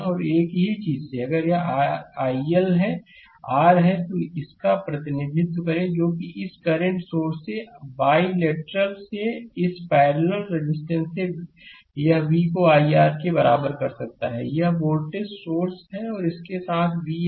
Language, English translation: Hindi, And from the same thing, the if it is your i L it is R, the represent this one that from your bilateral from this current source and this parallel resistance, you can make it v is equal to i R, this is the voltage source and with v this R is in series right